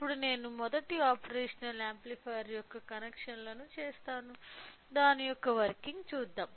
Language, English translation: Telugu, So, now, I make the connections of first operational amplifier, let us see the working of it